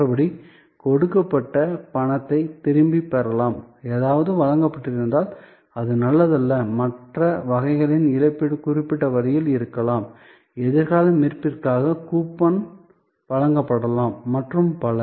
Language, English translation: Tamil, Other, there is a refund given, if something has been deliver done, it was not good and the compensation of other types maybe also there in certain way, coupon maybe issued for future redemption and so on